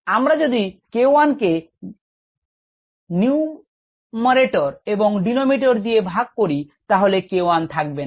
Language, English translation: Bengali, and if we divide the numerator, the denominator, by k one right, we get the k one disappears from here